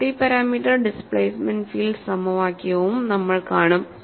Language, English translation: Malayalam, We would also see the multi parameter displacement field equation